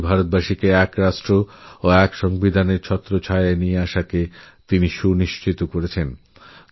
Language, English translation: Bengali, He ensured that millions of Indians were brought under the ambit of one nation & one constitution